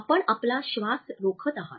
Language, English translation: Marathi, You are holding your breath